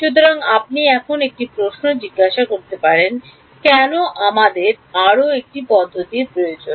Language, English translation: Bengali, So, you can ask one question now why do we need yet another method